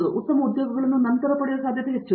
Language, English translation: Kannada, Then chances of getting good jobs are high